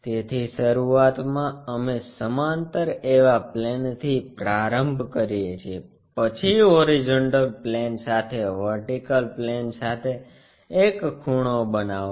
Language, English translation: Gujarati, So, initially we begin with a plane which is parallel, then make an angle with vertical planeah with the horizontal plane